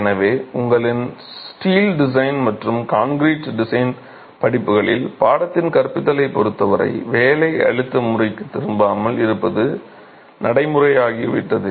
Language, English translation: Tamil, So, in your steel design courses and concrete design courses, it's become practice not to go back to the working stress method as far as the teaching of the course is concerned